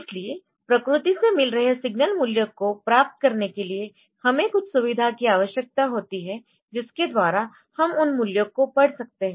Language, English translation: Hindi, So, to get the values from signal from the nature so, we need some facility by which we can read those values